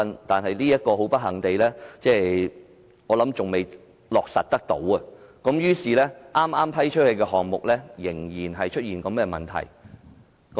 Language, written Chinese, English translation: Cantonese, "但是，很不幸，這項建議至今仍未落實，所以剛批出的項目依然出現這問題。, But unfortunately this proposal has yet to be implemented and thus the same problem can still be found in the newly awarded projects